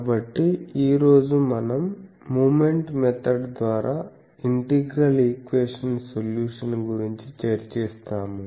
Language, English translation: Telugu, So, today we will discuss the Moment Method integral equation solution by moment method